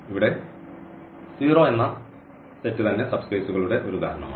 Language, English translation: Malayalam, So, here is a examples now of the subspaces here the set 0 itself